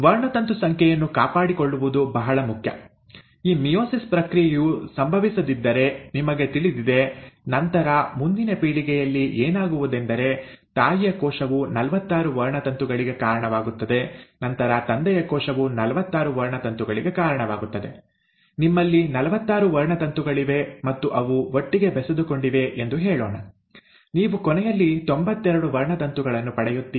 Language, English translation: Kannada, See it is very important to maintain the chromosome number, you know if this process of meiosis does not happen, then in the next generation, what will happen is the mother cell will give rise to forty six chromosome and then the father cells, let us say have forty six chromosomes and they are fused together, you end up getting ninety two chromosomes